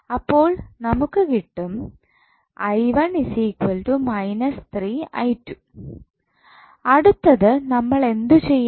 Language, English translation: Malayalam, Now, what next we have to do